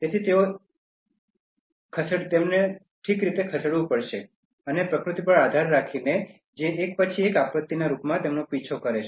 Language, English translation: Gujarati, So, they have to move okay, and depending on the nature that is chasing them in the form of one calamity after another